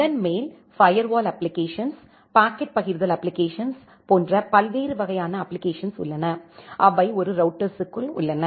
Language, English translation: Tamil, And on the top of that we have different kind of applications like the firewall application, the packet forwarding applications, which are there inside a router